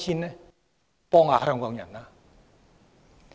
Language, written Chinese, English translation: Cantonese, 請幫幫香港人吧。, Please help Hong Kong people